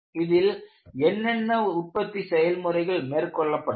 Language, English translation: Tamil, What are the manufacturing processes that has gone into it